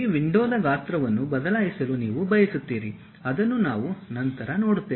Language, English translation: Kannada, You want to change the size of this window which we will see it later